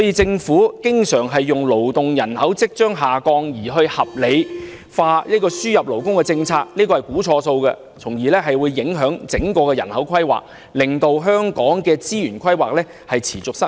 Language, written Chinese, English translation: Cantonese, 政府經常以勞動人口即將下降而合理化輸入勞工政策，那是估算錯誤，從而影響整體人口規劃，令香港的資源規劃持續失誤。, The Government often uses the anticipated decrease in working population as the ground for its policy on the importation of labour but it is actually a wrong estimation which in turn affects the overall population planning resulting in the continuous blunders in the resources planning of Hong Kong